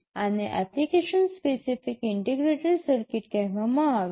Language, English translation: Gujarati, These are called application specific integrated circuit